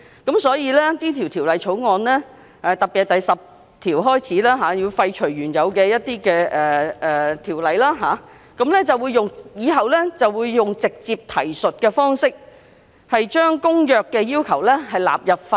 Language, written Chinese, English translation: Cantonese, 因此，政府便透過《條例草案》特別是第10條，建議廢除部分原有條文，以便日後以直接提述的方式，將《公約》的要求納入《條例》。, This is why the Government proposes to repeal some of the original provisions through in particular clause 10 of the Bill so that the direct reference approach can be adopted to facilitate the incorporation of the Conventions requirements into the Ordinance in the future